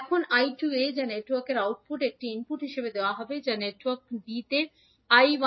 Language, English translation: Bengali, Now the I 2a which is output of network a will be given as input which is I 1b to the network b